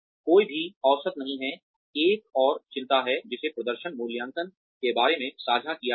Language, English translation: Hindi, No one is average, is another concern, that has been shared with, regarding performance appraisals